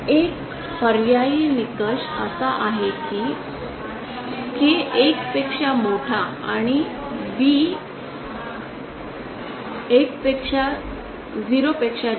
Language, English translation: Marathi, An alternate criteria is this that the K greater than 1 and B1 greater than 0